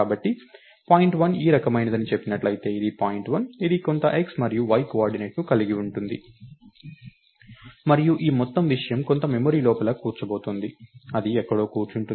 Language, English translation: Telugu, So, if point1 lets say point1 is of this type, so this is point1, it has some x and y coordinate and this whole thing is going to sit inside some memory, its going to sit somewhere